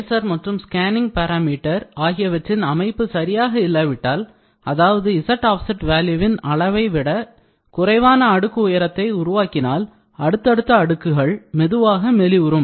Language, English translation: Tamil, If the laser and the scanning parameter setting used are inherently incapable of producing a deposit thickness at least as thick as the layer thickness z offset value, subsequent layer will become thinner and thinner